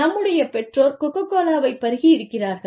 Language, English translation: Tamil, And, our parents had tasted Coca Cola